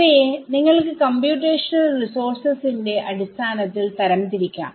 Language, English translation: Malayalam, You want to classify them in terms of computational resources